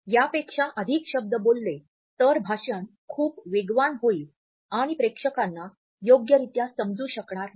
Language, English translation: Marathi, We speak more words than this then the speech would become too fast and the audience would not be able to comprehend properly